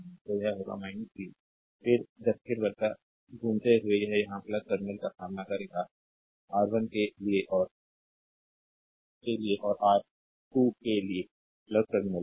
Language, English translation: Hindi, So, it will be minus v, then you moving clockwise so, it will encounter plus terminal here, for R 1 and plus terminal here for R 2